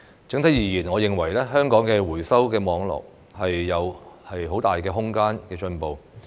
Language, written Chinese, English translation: Cantonese, 整體而言，我認為香港的回收網絡仍有很大的進步空間。, On the whole I think there is still much room for improvement in respect of the recycling network in Hong Kong